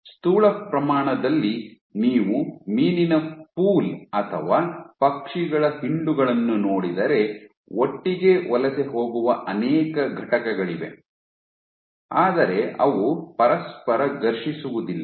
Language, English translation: Kannada, At the macro scale if you look at school of fish or a flock of birds, so you again you have multiple entities which migrate together yet they do not clash into each other